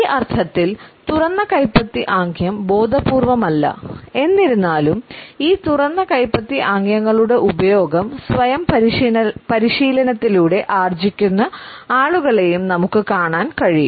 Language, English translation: Malayalam, The open palm gesture in this sense is unconscious; however, we have also come across people who train themselves in the use of this open palm gestures